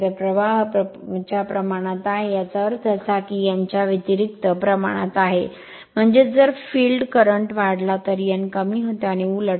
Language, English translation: Marathi, So, flux is proportional to I f; that means, n is inversely proportional to I f right; that means, if field current increases n decreases and vice versa